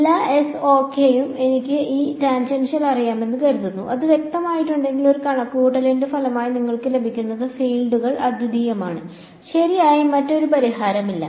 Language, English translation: Malayalam, Supposing I know E tangential over all of S ok; if that is specified then whatever you get as the result of a calculation the fields they are unique, there is no other solution that is correct ok